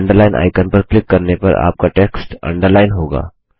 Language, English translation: Hindi, Clicking on the Underline icon will underline your text